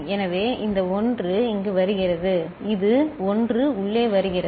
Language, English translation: Tamil, So, this 1 is coming here and this 1 is getting in